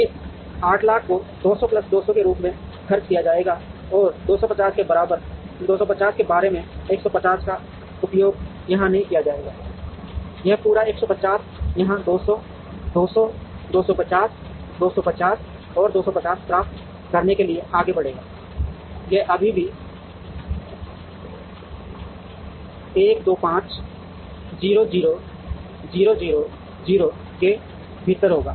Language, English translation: Hindi, This 800000 will be spent as 200 plus 200 plus 250 about 150 will not be used here, this entire 150 will move here to get 200 200 250 250 and 250, it would still be within the 1 2 5 0 0 0 0